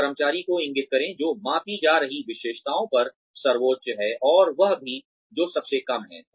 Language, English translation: Hindi, Indicate the employee, who is highest on the characteristic being measured, and also the one, who is the lowest